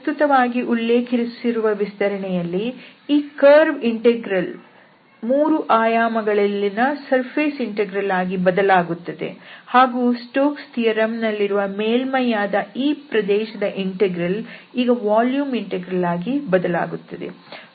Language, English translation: Kannada, Now, the extension which we are talking about in this lecture will be that this curve integral will become a surface integral in 3 dimensions and then this region which was the surface in this Stokes theorem will become a volume integral